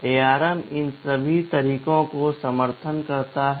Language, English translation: Hindi, ARM supports all these modes